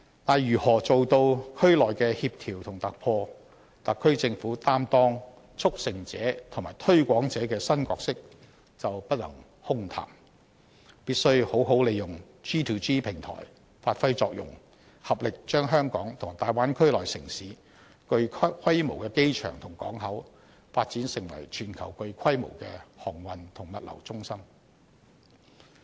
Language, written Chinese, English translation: Cantonese, 但是，如何做到區內的協調及突破，特區政府擔當"促成者"及"推廣者"的新角色就不能空談，必須好好利用 G2G 平台，發揮作用，合力把香港與大灣區內城市具規模的機場及港口，發展成為全球具規模的航運及物流中心。, Nevertheless in order to coordinate and make breakthroughs in the development of the Bay Area the SAR Government should not engage in empty talks about its new roles as a facilitator and a promoter . Instead it should make good use of the government to government G2G platforms to produce results and join hands with the other cities to capitalize on the well - equipped airports and ports to turn the Bay Area into a global maritime and logistics hub